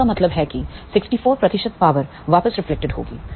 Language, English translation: Hindi, So that means, 64 percent power will reflect back